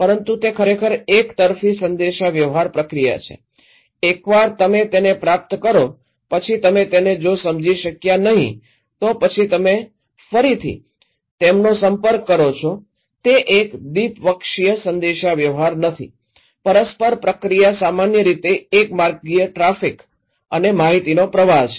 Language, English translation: Gujarati, But it’s actually a one way communication process, once you receive then you didn’t understand then you again, you contact it is not a one two way communication, reciprocal process is generally one way traffic and flow of information